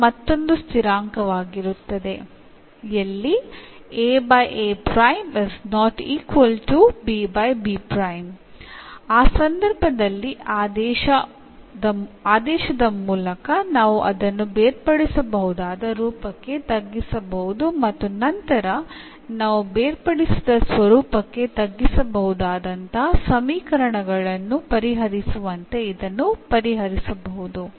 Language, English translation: Kannada, So, in that case otherwise this is just the by substituting we can um reduce to the separable form and then we can solve as we have done before for the equations reducible to the separable form